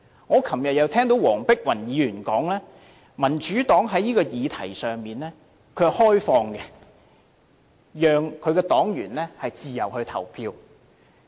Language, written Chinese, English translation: Cantonese, 我昨天又聽到黃碧雲議員表示民主黨在這項議題上是開放的，讓其黨員自由投票。, Yesterday I also heard Dr Helena WONGs remark that the Democratic Party had no predetermined position on this issue and would allow its party members to vote freely